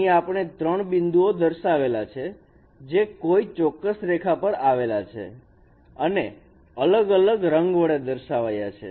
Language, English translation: Gujarati, They are lying on a particular line and they are shown by different colors